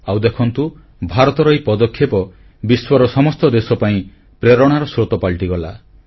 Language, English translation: Odia, And see how this initiative from India became a big source of motivation for other countries too